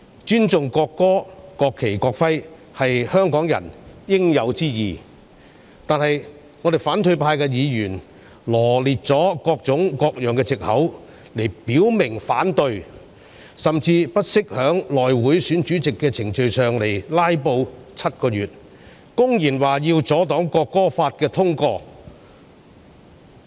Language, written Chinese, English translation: Cantonese, 尊重國歌、國旗及國徽是香港人應有之義，但是，反對派議員羅列了各種各樣的藉口來表明反對，甚至不惜在內務委員會選舉主席的程序上"拉布 "7 個月，公然表示要阻擋《條例草案》通過。, To respect the national anthem national flag and national emblem is just the right thing Hongkongers should do . However Members of the opposition camp raised objection on all kinds of pretexts . They even went so far as to filibuster for seven months during the procedures of the election of Chairman of the House Committee blatantly expressing their wish to obstruct the passage of the Bill